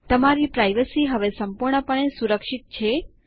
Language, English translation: Gujarati, your privacy is now completely protected